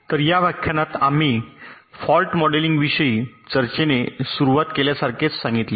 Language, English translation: Marathi, so in this lecture we start with a discussion on fault modelling, as i said